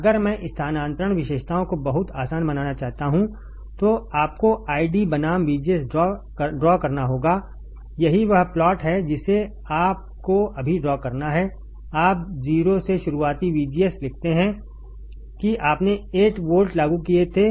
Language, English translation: Hindi, If I want to draw the transfer characteristics very easy you have to draw I D versus, VGS I D versus VGS that is the plot that you have to draw right now you write down early of VGS from 0 to how much you applied 8 volts you applied